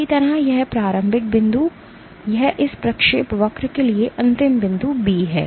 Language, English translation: Hindi, Similarly this is the starting point A this is the ending point B for this trajectory